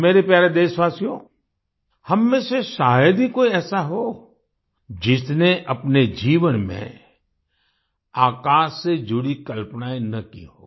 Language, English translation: Hindi, My dear countrymen, there is hardly any of us who, in one's life, has not had fantasies pertaining to the sky